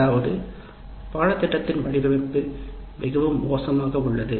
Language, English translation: Tamil, That means you, the design of the curriculum itself is very bad